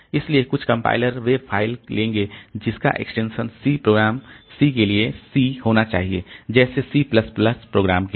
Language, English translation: Hindi, So, some compilers they will take that the file name should extension should be C for say for the C program, C C++ program like that